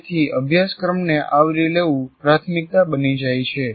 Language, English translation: Gujarati, So the covering the syllabus becomes the priority